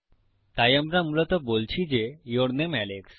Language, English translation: Bengali, So, were basically saying your name Alex